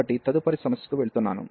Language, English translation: Telugu, So, going to the next problem